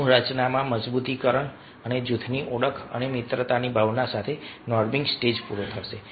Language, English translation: Gujarati, the norming stage is over with the solidification of the group structure and a sense of group identity and camaraderie